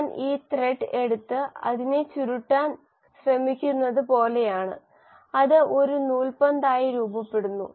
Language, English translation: Malayalam, It is like I take this thread and then try to wind it and you know form it into a ball of thread